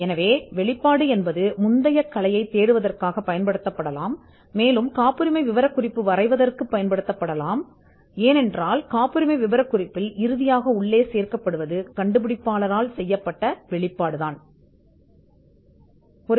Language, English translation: Tamil, So, the disclosure can be used to search for the prior art, and it can also be used to draft the patent specification itself, because it is the disclosure that the inventor makes, that eventually gets into the patent specification